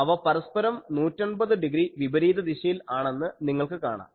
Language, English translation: Malayalam, So, by there it is seen that they are 180 degree out of phase